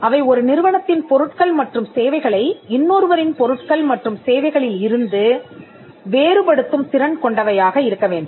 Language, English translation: Tamil, Trademarks need to be distinctive; they should be capable of distinguishing the goods and services of one undertaking from the goods and services of another